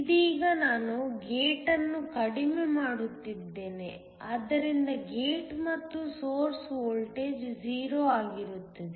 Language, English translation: Kannada, Right now, I am shorting the gate so that the gate and source voltage is 0